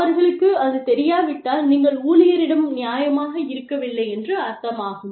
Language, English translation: Tamil, If the employees, do not know, then you are not being fair to the employee